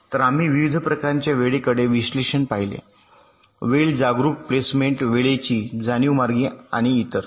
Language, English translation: Marathi, so we looked at the various kinds of timing analysis: timing aware placement, timing aware routing and so on